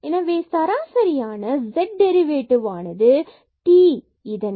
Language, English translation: Tamil, So, basically this z is a function of t alone